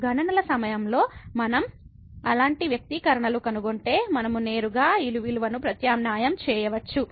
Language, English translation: Telugu, So, if we find such expressions during the calculations we can directly substitute these values